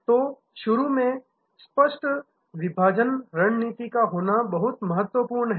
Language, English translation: Hindi, So, initially it is very important to have a clear cut segmentation strategy